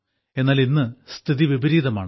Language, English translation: Malayalam, But, today the situation is reverse